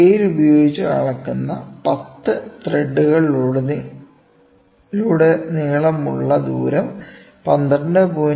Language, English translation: Malayalam, The distance across 10 threads measured using a scale is 12